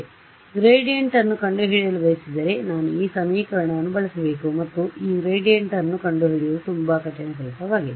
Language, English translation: Kannada, So, this is misleading; so, if I wanted to correctly find out the gradient, I should use this equation and finding this gradient is a lot of hard work ok